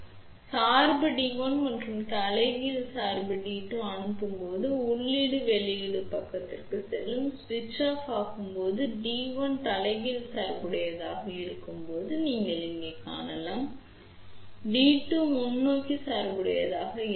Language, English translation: Tamil, So, when we forward bias D 1 and reverse bias D 2 then input will go to the output side, when switch will be off when D 1 is reverse bias you can see over here and when D 2 is forward bias